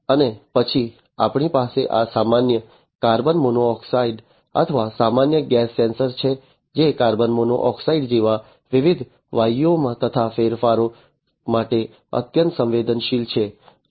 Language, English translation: Gujarati, And then we have this normal, you know, carbon monoxide or you know general gas sensor, which is highly sensitive to changes in different gases such as carbon monoxide and so on